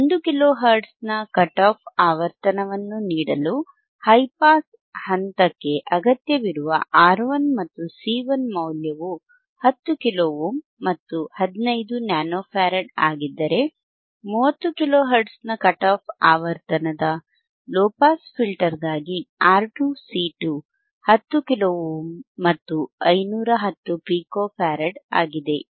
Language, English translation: Kannada, So, from here R 11 and C 1 required for high pass stage to give a cut off frequency of 1 kilo hertz orare 10 kilo ohm and 5015 nano farad, whereile R 2, C 2 for a low pass filter isof cut off frequency of 30 kilo hertz andare 10 kilo ohm and 510 pico farad, right